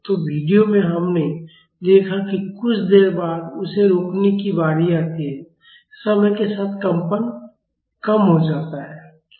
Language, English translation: Hindi, So, in the video we have seen that, after some time it comes to stop it the vibrations reduces in time